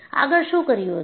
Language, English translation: Gujarati, So, what he did